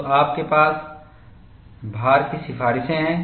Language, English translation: Hindi, So, you have loading rate recommendations